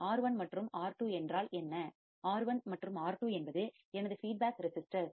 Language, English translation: Tamil, What is R1 and R2, R1 and R2 are my feedback resistors, R1 and R2 are nothing but my feedback resistors